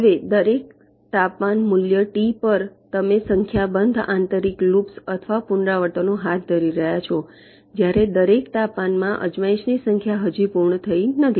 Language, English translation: Gujarati, now, at every temperature, value t, you are carrying out a number of inner books or iterations, while (Refer Time 24:00) number of trials at each temperature not yet completed